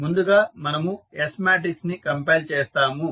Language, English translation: Telugu, We will first compile the S matrix